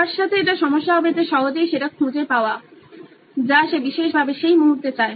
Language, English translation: Bengali, The problem with him or her would be getting easily retrieving the content which he specifically wants at that moment of time